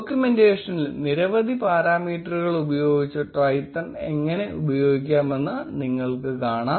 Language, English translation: Malayalam, In the documentation, you will notice how to use Twython using several parameters